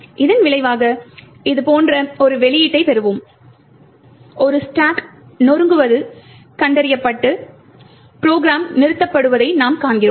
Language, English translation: Tamil, As a result, we will get an output which looks like this, you see that there is a stack smashing detected and the program is terminated